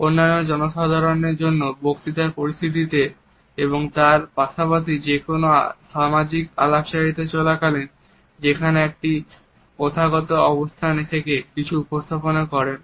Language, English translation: Bengali, During other public speech situations as well as during any social interaction where one is in a formal position presenting something